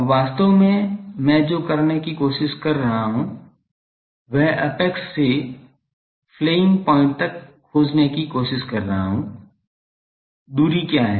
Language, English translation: Hindi, Now, actually what I am trying to do I am trying to find from the apex to the flaring point, what is the distance